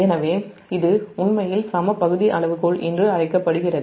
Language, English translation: Tamil, so this is actually is called equal area criterion